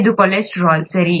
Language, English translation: Kannada, This is cholesterol, right